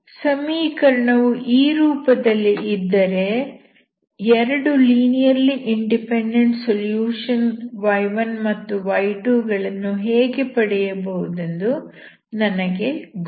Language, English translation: Kannada, If I have in this form, I know how to find the solutions that is two linearly independent solutions y1 and y2